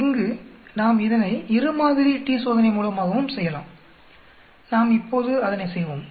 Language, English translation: Tamil, Here we will also do it by two sample t Test we will do that now